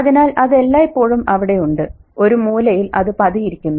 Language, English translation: Malayalam, So that's always there lurking in the corner